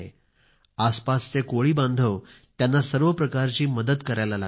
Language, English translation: Marathi, Local fishermen have also started to help them by all means